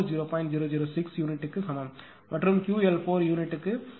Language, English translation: Tamil, 006 per unit and Q L 4 is equal to 0